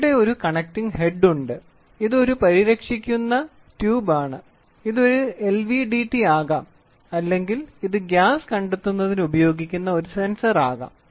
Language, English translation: Malayalam, So, here is a connecting head this can be this is at a protecting tube then sensing this can be an LVDT or this can be a sensor which is used for deducting gas, whatever it is, right